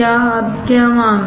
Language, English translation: Hindi, Now what is the case